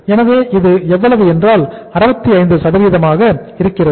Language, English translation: Tamil, So this will be how much 68